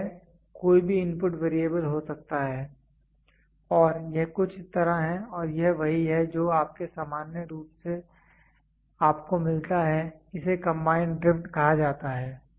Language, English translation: Hindi, This can be any input variable, and this is something like this and this is what is your normally what you get this is called as combined drift